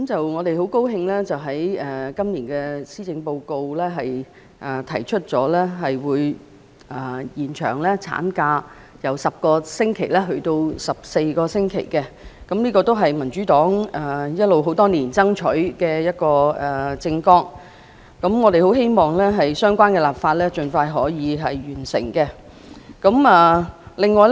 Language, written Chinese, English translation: Cantonese, 我們很高興在今年的施政報告中看到政府提議把法定產假由10星期增至14星期，這亦是民主黨多年以來爭取的政策，我們希望可以盡快完成相關的立法工作。, We are very pleased to see that the Government has proposed to increase the statutory maternity leave from 10 weeks to 14 weeks in this years Policy Address . This is also a policy that the Democratic Party has been fighting for over many years . We hope that the relevant legislative work can be completed as soon as possible